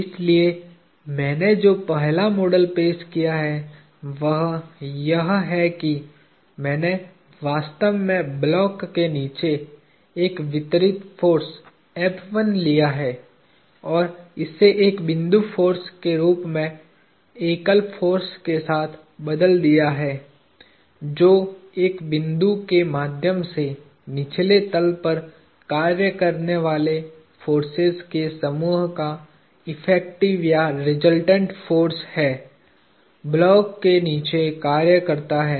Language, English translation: Hindi, So, the first model that I have introduced is that I have taken what is actually a distributed force underneath the block, the true F1, and replaced it with a point force with a single force that acts through a point on the bottom of the block as the effective or the resultant force of the set of forces acting on the bottom side